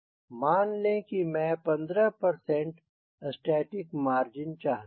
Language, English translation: Hindi, so lets assume i want a static margin of fifteen percent